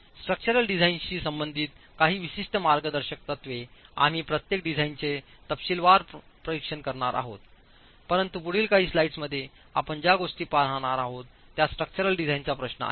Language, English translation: Marathi, Some specific guidelines as far as the structural design is concerned, we will be going and examining each design in detail but what you are going to see in the next few slides is overall requirements as far as the structural design is concerned